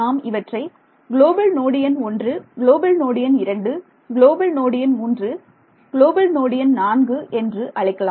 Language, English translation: Tamil, So, let us call this guy global node number 1, global node 2 global node 3 and global node 4